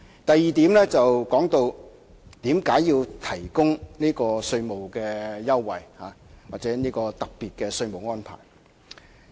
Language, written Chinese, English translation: Cantonese, 第二，有議員問到為何要提供這種稅務優惠或特別稅務安排？, Secondly some Members have raised the following queries Why is it necessary to provide the said concessions or implement the special tax regime?